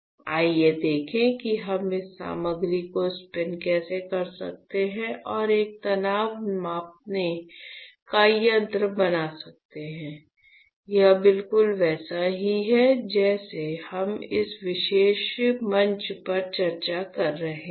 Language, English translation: Hindi, So, let us see how can we spin coat this material and form a strain gauge; it is exactly similar to what we have been discussing on this particular platform